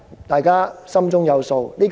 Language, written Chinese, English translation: Cantonese, 大家心中有數。, We all have an answer in heart